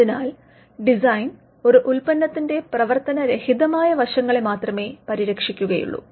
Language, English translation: Malayalam, So, design only protects non functional aspects of a product